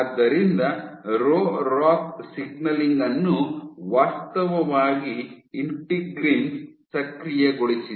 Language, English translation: Kannada, So, Rho ROCK signaling is actually activated by integrins